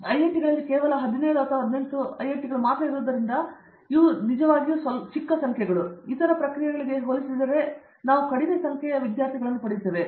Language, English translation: Kannada, So, they have to once they really narrowed down because IITs there are only 17 or 18 IITs and we get a less number of students compared to the other process